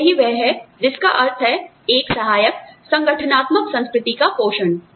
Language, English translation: Hindi, So, that is what, we mean by, a supportive nurturing organizational culture